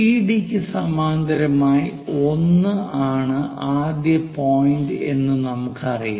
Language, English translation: Malayalam, We have identified the first point is 1 parallel to CD